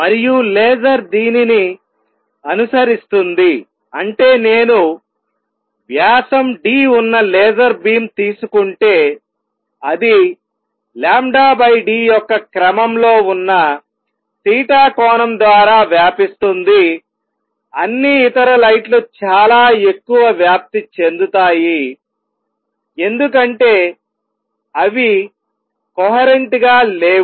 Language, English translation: Telugu, And laser follows this that means if I take a laser beam which is of diameter d, it will spread by angle theta which is of the order of lambda by d, all other lights spread much more because they are not coherent